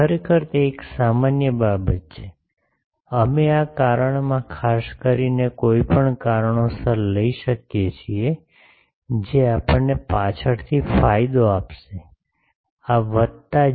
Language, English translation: Gujarati, Actually it is a general thing, we can take anything in this case specifically for some reason the, that will give us advantage later, this is plus jk